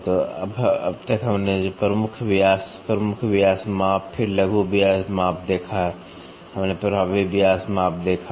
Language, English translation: Hindi, So, till now what we saw major diameter, major diameter measurement, then minor diameter measurement, then we saw effective diameter measurement, effective diameter measurement